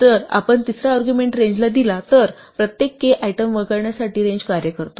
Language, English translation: Marathi, The third argument if we give it to range tells the range function to skip every k item